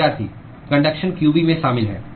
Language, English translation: Hindi, Conduction is included in qB